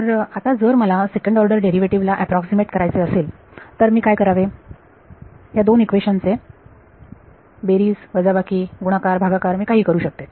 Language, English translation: Marathi, So, now if I want to approximate the second order derivative what do I do to these two equations, add subtract multiply divide whatever I do